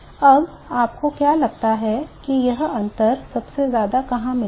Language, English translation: Hindi, Now where do you think that this difference will be maximum